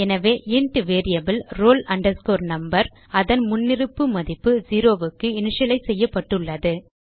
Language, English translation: Tamil, So, the int variable roll number has been initialized to its default value zero